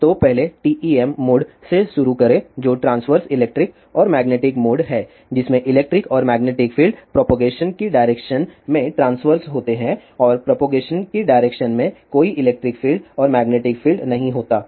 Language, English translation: Hindi, So, first start with TEM mode which is transverse electric and magnetic mode in which electric and magnetic fields are transverse to the direction of propagation and in the direction of propagation, there is no electric field and magnetic field